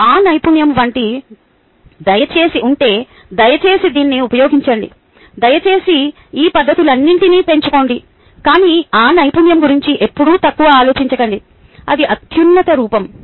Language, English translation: Telugu, if you have that skill, please use this, please augmented by all these methods, but never, ever, ah, think low of that skill